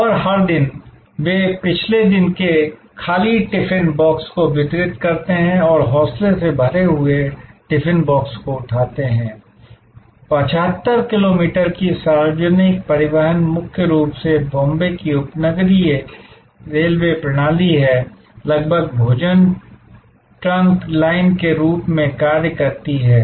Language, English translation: Hindi, And every day, they deliver the previous day’s empty tiffin box and pick up the freshly loaded tiffin box, 75 kilometers of public transport mainly the suburban railway system of Bombay, almost acts as a food trunk line